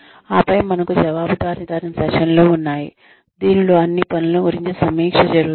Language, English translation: Telugu, And then, we have the accountability sessions, in which a review is conducted of all the work, that had been done